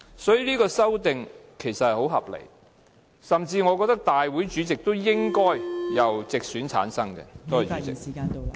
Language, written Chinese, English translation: Cantonese, 所以，這項修訂其實很合理，我甚至覺得大會主席都應該......由直選產生。, Hence this amendment is justifiable . I even think that the President of the Legislative Council should also be elected from the geographical constituency